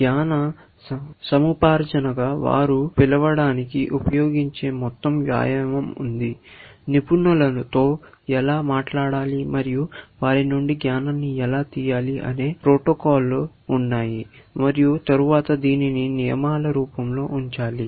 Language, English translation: Telugu, There was a whole exercise of what they use to call as knowledge acquisition where, they have protocols of how to talk to expert, and how to extract knowledge from them, and then put it in the form of rules, essentially